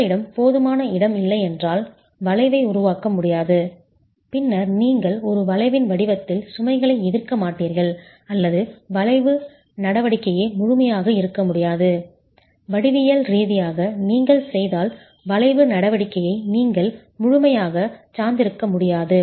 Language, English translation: Tamil, If you don't have sufficient space, the arch cannot form and then you will not have load being resisted in the form of an arch or the arching action itself cannot be fully, you can't fully depend on the arching action in case geometrically you don't have the sort of a configuration